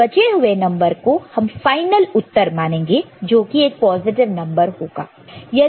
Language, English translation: Hindi, And rest of the number is to be taken as the final answer which is positive